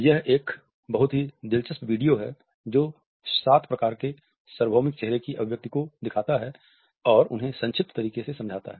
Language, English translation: Hindi, This is a very interesting video which looks at the seven types of universal facial expression and explains them in a succinct manner